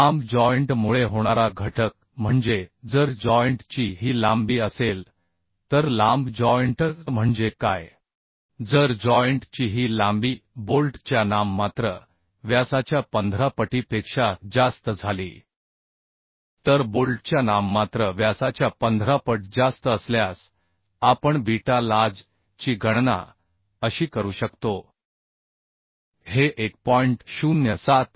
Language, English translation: Marathi, 25 right Now let us come to the reduction factor how do we calculate beta lj this is reduction factor due to long joint So long joint means what long joint means if this length of joint become more than 15 times of nominal diameter of the bolt if this length of joint become more than 15 times of nominal diameter of the bolt then we can calculate beta lj as this 1